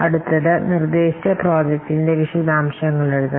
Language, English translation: Malayalam, Then about the details of the proposed project that should be written